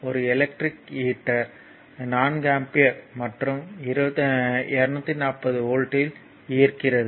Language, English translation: Tamil, An electric heater draws 4 ampere and at 240 volt